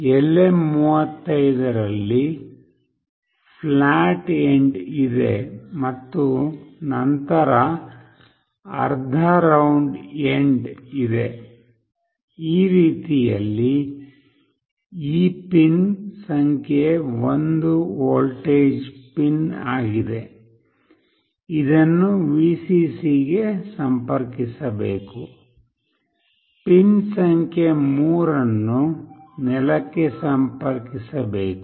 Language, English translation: Kannada, In LM35 there is a flat end and then there is a half round end, this way this pin number 1 is the voltage pin, this one should be connected to Vcc, pin number 3 must be connected to ground